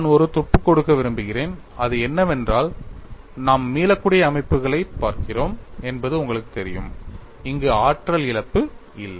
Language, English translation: Tamil, And the clue what I want to give is, you know we are looking at reversible systems, there are no energy loss